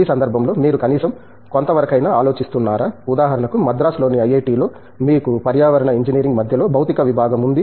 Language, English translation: Telugu, In that context, how much do you think at least, for example, in IIT, Madras, we have a physics department in the midst of a engineering you know environment